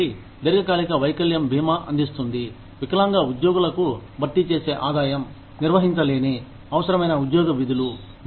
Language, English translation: Telugu, So, long term disability insurance provides, replacement income to disabled employees, who cannot perform, essential job duties